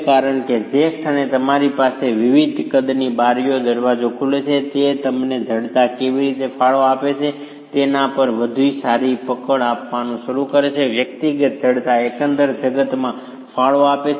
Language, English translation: Gujarati, This approach is probably the most convenient because when the moment you have windows and doors openings, which are of different sizes, this starts giving you a better hold on how the stiffness has contributed, individual stiffnesses contribute to the overall stiffness